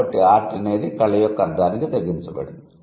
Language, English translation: Telugu, So, art has narrowed down to the meaning of only art